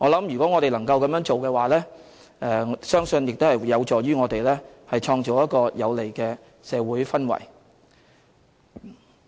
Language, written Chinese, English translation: Cantonese, 如果我們能夠這樣做的話，相信會有助於創造一個有利的社會氛圍。, As many controversial economic social and livelihood issues are involved I think it will be conducive to creating a favourable social atmosphere if we can do so